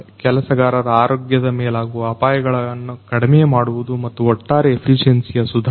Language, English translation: Kannada, Reduction of the health hazards of the workers and improvement in overall efficiency